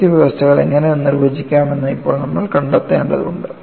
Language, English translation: Malayalam, Now, you will have to find out how to define the boundary conditions